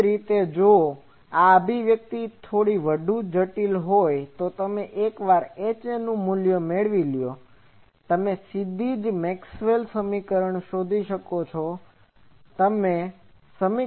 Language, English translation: Gujarati, Alternately, if this expression is a bit more complex, you can find once you find H A, you can find directly from Maxwell’s equation you can put that